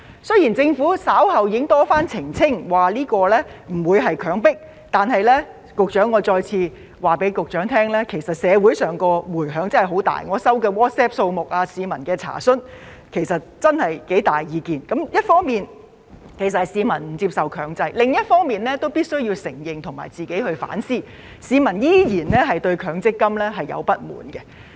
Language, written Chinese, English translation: Cantonese, 雖然政府稍後已經多番澄清不會強迫，但我想再次告訴局長，其實社會的迴響十分大，我接獲的 WhatsApp 數目和市民查詢，真的有很大意見，一方面是市民不接受強制，另一方面也必須承認和反思，市民依然對強積金抱有不滿。, Despite repeated clarifications by the Government that transfer will not be mandatory I would like to tell the Secretary once again that there are great repercussions in society . The WhatsApp messages and public enquiries I received all expressed strong views about it . On the one hand people do not accept mandatory transfer and on the other hand we have to admit and reflect on the fact that people are still dissatisfied with MPF